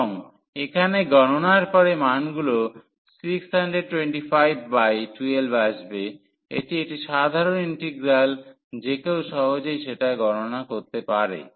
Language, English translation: Bengali, And, after the calculations here the values are coming as a 625 by 12 it is a simple integral one can easily compute